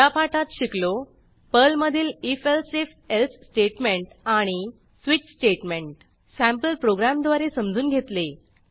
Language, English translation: Marathi, In this tutorial, we have learnt if elsif else statement and switch statement in Perl using sample programs